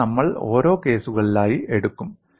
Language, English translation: Malayalam, And now we will take case by case